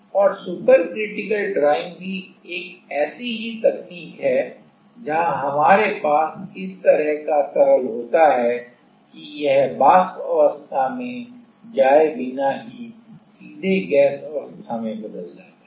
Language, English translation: Hindi, And, super critical drying also is a similar technique, where we have some kind of liquid going to gas space directly without going to the vapour space